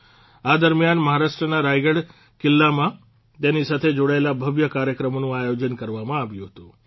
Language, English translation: Gujarati, During this, grand programs related to it were organized in Raigad Fort in Maharashtra